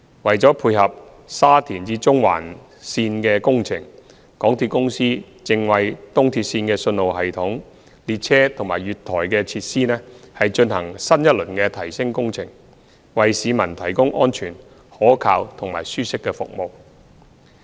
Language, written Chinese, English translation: Cantonese, 為了配合沙田至中環線的工程，港鐵公司正為東鐵線的信號系統、列車及月台的設施，進行新一輪的提升工程，為市民提供安全、可靠及舒適的服務。, In view of the construction of the Shatin to Central Link SCL a major enhancement project are being undertaken for the signalling system trains and platform facilities of ERL with the objective of providing safe reliable and comfortable services to the public